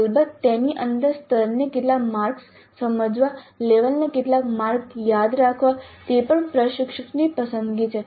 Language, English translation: Gujarati, Of course within that how many marks to understand level, how many marks to the remember level is also the instructor